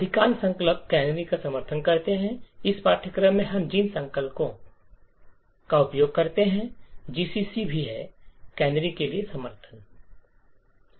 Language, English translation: Hindi, Most of the compilers support canaries, the compilers that we are using in this course that is GCC also, has support for canaries